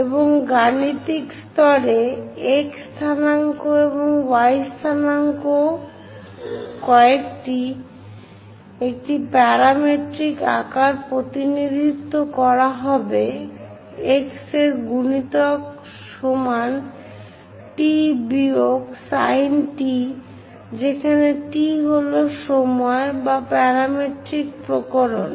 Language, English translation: Bengali, And at mathematical level the x coordinates and y coordinates, one will be represented in a parametric form x is equal to a multiplied by t minus sin t, where t is the time or parametric variation